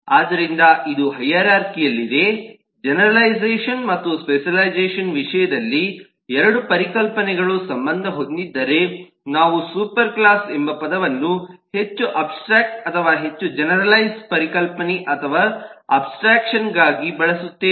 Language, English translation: Kannada, if 2 concepts are related in terms of generalisation and specialisation, then we will use the term superclass for more abstract or more generalised concept or abstraction